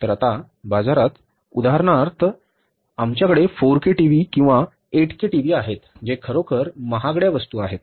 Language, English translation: Marathi, So now for example in the market we have the 4K TV or the 8K TVs which are really expensive items